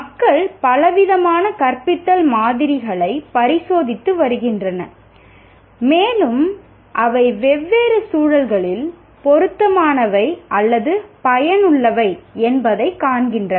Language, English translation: Tamil, And even this teaching, you have a wide range of teaching models and people have been experimenting with a variety of teaching models and they find them relevant or effective in different contexts